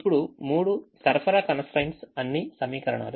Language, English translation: Telugu, so there are three supply constraints